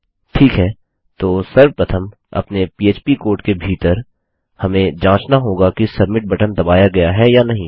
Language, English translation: Hindi, Okay so first of all inside our php code we need to check whether the submit button has been pressed